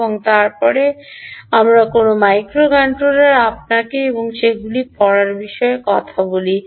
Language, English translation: Bengali, and then we talk about a microcontroller, read you and all that ah